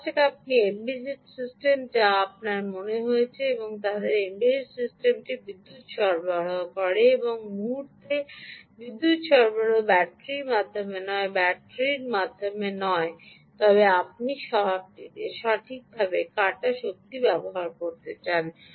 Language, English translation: Bengali, supposing you are embedded system, which you have in mind, and you build there embedded system with power supply, and this time the power supply is not through battery, but not battery